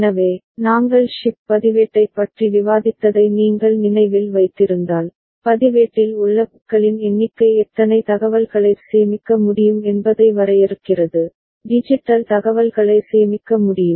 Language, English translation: Tamil, So, if you remember we discussed shift register, and there we noted that the number of bits in the register defines how many information can be stored, digital information can be stored